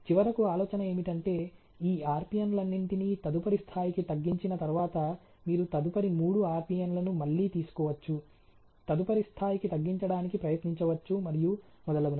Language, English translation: Telugu, And then finally the idea is that once all these RPN’s are reduce to the next level, you can take next three RPN, again to try to reduce the next level so and so forth